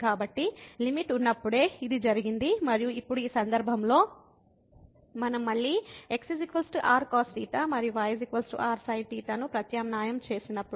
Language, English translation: Telugu, So, this was the case when limit exist and now in this case when we substitute this again is equal to cos theta and is equal to sin theta